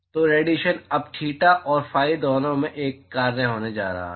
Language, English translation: Hindi, So, so the radiation is now going to be a function of both theta and phi